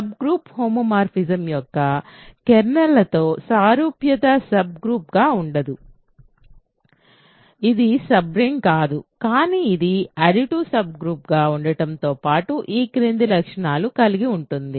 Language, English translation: Telugu, So, the analogy of with a kernel of a sub group homomorphism being a subgroup does not carry over here it is not a sub ring, but it does have nice properties in particular in addition to being an additive sub group it has the following property